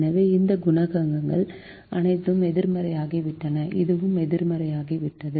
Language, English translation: Tamil, so all these coefficients have become negative, and this also has become negative